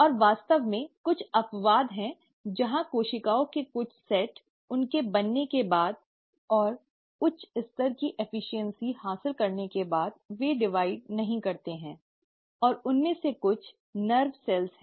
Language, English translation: Hindi, And there are in fact, few exceptions where certain set of cells, after they have been formed and they have acquired high level of efficiency, they do not divide, and some of them are the nerve cells